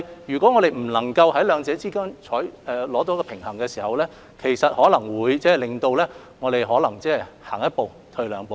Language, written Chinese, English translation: Cantonese, 如果不能在兩者之間取得平衡，我們可能會每向前走一步，便同時要倒退兩步。, If we cannot strike a balance between the two we may be rendered taking two steps backward every time when a forward one is made